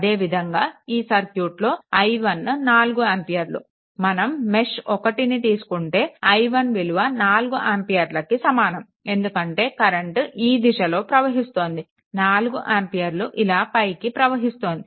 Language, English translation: Telugu, So, for this one your similarly for your this i 1 is equal to 4 ampere, if you see this mesh one this i 1 is equal to 4 ampere because here where you are moving like this so, this 4 ampere in this upward direction